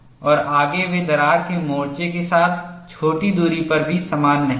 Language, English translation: Hindi, And further, they are not uniform over even small distances along the crack front